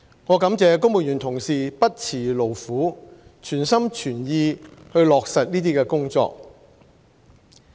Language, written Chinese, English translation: Cantonese, 我感謝公務員同事不辭勞苦，全心全意落實這些工作。, I am grateful to fellow civil servants for their strenuous and wholehearted efforts in implementing these tasks